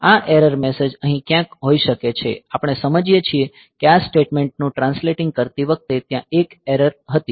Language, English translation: Gujarati, So, this error messages maybe somewhere here; so, we understand that while translating this statement there was an error